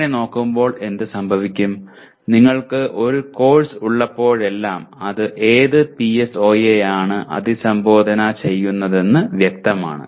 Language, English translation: Malayalam, So what happens whenever you look at; whenever you have a course, it is very clear which PSO it is addressing, the entire